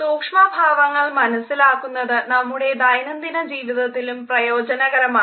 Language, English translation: Malayalam, Understanding micro expressions is beneficial in our day to day life